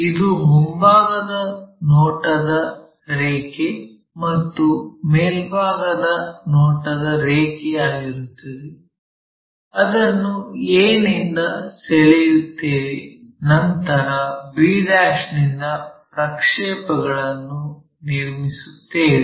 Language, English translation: Kannada, This is the front view line and this is the top view line, we have drawn that from a then drawing draw a projector from b '